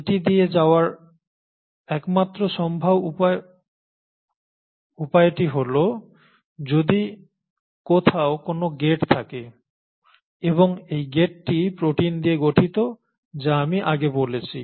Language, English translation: Bengali, And the only possible way it will go through is that if there is a gate somewhere around and this gate is made up of proteins as I mentioned earlier